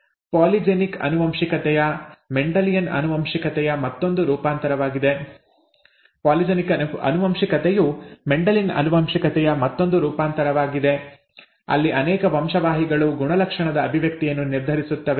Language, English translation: Kannada, Polygenic inheritance is another variant again from Mendelian inheritance where multiple genes determine the expression of a character